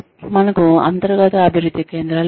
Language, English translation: Telugu, We have in house development centers